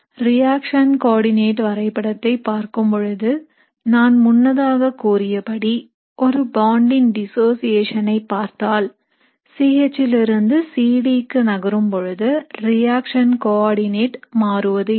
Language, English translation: Tamil, So when we look at the reaction coordinate diagram, as I told you earlier, where we looked at the dissociation of a bond, even for a reaction the reaction coordinate will not change when you move from C H to C D